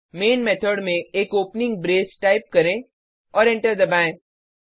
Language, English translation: Hindi, Inside the main method type an opening brace and hitEnter